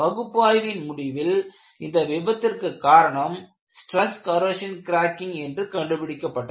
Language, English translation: Tamil, What are the methods that could be used to prevent stress corrosion cracking